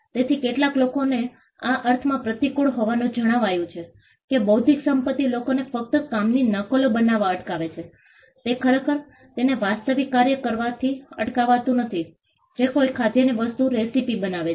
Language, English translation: Gujarati, So, some people have found this to be counterintuitive in the sense that though intellectual property only stops people from making copies of the work, it does not actually stop them from doing the real work which is making the recipe of a food item